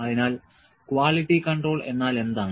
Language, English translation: Malayalam, So, what essentially is quality control